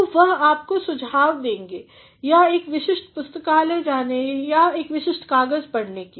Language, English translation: Hindi, So, they will suggest you either to visit a particular library or to read a particular paper